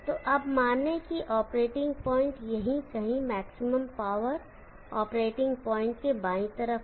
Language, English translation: Hindi, So now consider that the operating point is somewhere, here to left of the maximum power operating point